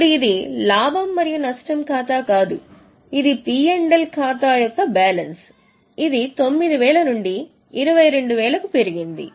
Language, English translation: Telugu, This is a balance of P&L account which has increased from 9,000 to 22,000